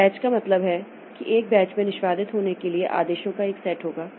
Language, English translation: Hindi, So, batch means in a batch we will give a set of commands to be executed